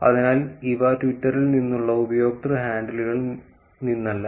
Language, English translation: Malayalam, So, these are not from the user handles from Twitter